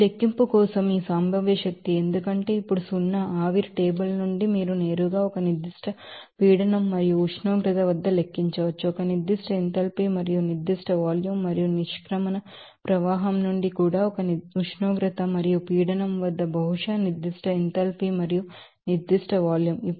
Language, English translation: Telugu, For this calculation for us this potential energy because to zero now, from the steam table you can directly calculate at a certain pressure and temperature what should be a specific enthalpy and also what to be the specific volume and from the exit stream also at a certain temperature and pressure, possibly the specific enthalpy and the specific Volume